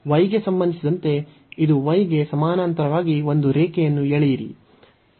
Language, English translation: Kannada, So, now draw the line parallel to the y axis